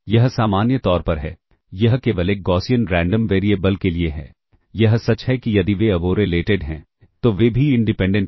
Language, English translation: Hindi, However it if in general it is only for a Gaussian Random Variable, it is true that if they are uncorrelated, they are also independent